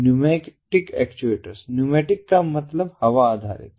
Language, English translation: Hindi, pneumatic actuator pneumatic means air based